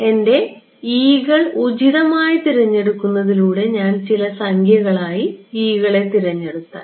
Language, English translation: Malayalam, By choosing my e’s appropriately, if I chose e’s to be some numbers